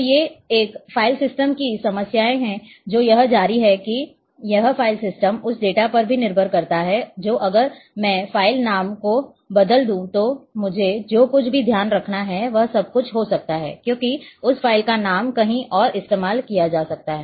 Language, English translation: Hindi, So, the these are the problems in a file system this continues that a this a file system is also dependent on the data which if I change the file name then everything I have to take care, because that file name might be being used elsewhere as well